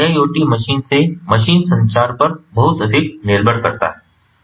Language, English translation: Hindi, so iiot heavily depends on machine to machine communication